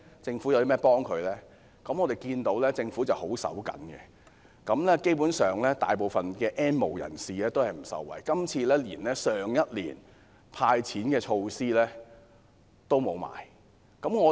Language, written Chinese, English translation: Cantonese, 政府十分吝嗇，今年的財算案基本上未能令大部分 "N 無人士"受惠，連去年的"派錢"措施也沒有。, The Government being very frugal in this respect has basically not introduced any measures in this years Budget to benefit most of the N have - nots . Even the cash handout measure introduced last year has been cut this year